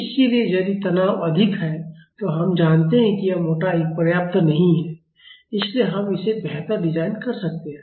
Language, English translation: Hindi, So, if the stresses are high we know that this thickness is not sufficient so, we can design it better